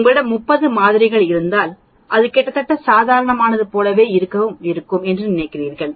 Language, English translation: Tamil, If you have 30 samples then I think it is almost like a normal